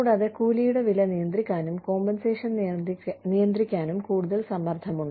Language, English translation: Malayalam, And, there is more pressure, to control the cost of wages, to control the compensation